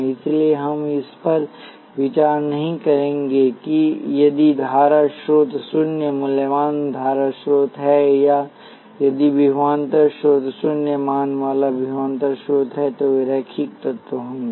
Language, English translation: Hindi, So, we would not consider that that is if the current source is zero valued current source, or a if the voltage source is a zero valued voltage source those would be linear elements